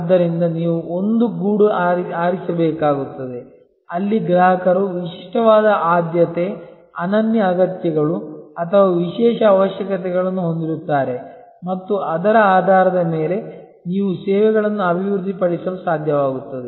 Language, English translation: Kannada, And so you have to choose a niche, where customers have a distinctive preference, unique needs or special requirements and based on that you will be able to develop services